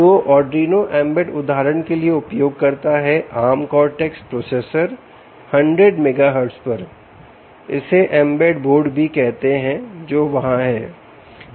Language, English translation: Hindi, so arduino embed, for instance, which uses arm cortex at hundred megahertz processors, ah, ah, this also called the embed boards ah, which are there